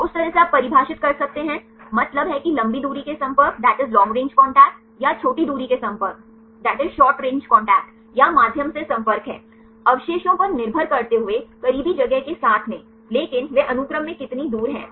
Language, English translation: Hindi, So, from that kind can you can defined mean long range contact, or short range contact or medium is the contact, depending upon the residues with the close in space, but how far they are distant in the sequence